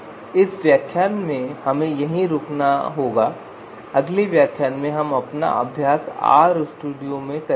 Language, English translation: Hindi, So we will in this lecture we will like to stop here and in the next lecture we will do our exercise in RStudio